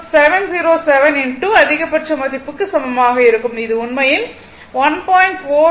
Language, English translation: Tamil, 707 into maximum value, that is actually 1